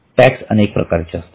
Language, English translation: Marathi, There are variety of taxes